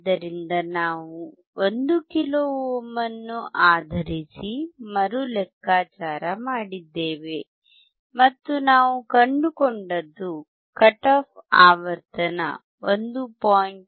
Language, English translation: Kannada, So, we have recalculated based on 1 kilo ohm, and what we found is the cut off frequency, 1